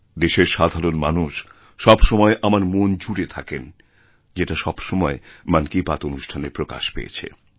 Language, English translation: Bengali, And this common man, who occupies my mind all the time, always gets projected in Mann Ki Baat